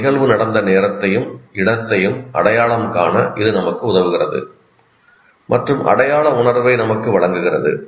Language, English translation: Tamil, It helps us to identify the time and place when an event happened and gives us a sense of identity